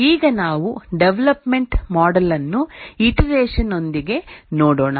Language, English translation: Kannada, Now let's look at the evolutionary model with iteration